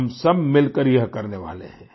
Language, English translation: Hindi, We're going to do it together